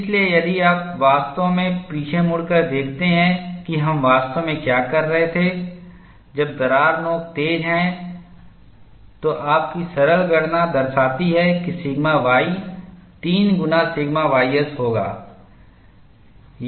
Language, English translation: Hindi, So, if you really look back and see what we were really saying is, when the crack tip is sharp your simple calculation show, that sigma y would be 3 times sigma ys